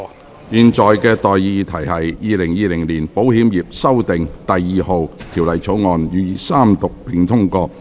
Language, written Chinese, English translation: Cantonese, 我現在向各位提出的待議議題是：《2020年保險業條例草案》予以三讀並通過。, I now propose the question to you and that is That the Insurance Amendment No . 2 Bill 2020 be read the Third time and do pass